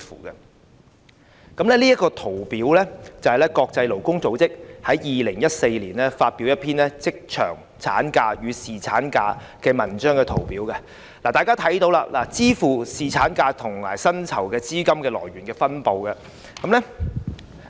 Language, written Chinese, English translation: Cantonese, 我手邊這份圖表，是國際勞工組織於2014年發表的一篇有關職場產假與侍產假研究中的圖表，大家可看到支付侍產假薪酬的資金來源分布。, The figures here in my hand are taken from a study on maternity leave and paternity leave in workplaces conducted by the International Labour Organisation in 2014 . We can see the sources of funding for paternity leave benefits